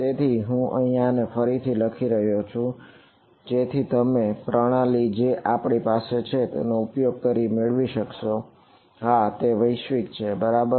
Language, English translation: Gujarati, So, I am writing this again so that you get used to this convention that we have and this of course, is global ok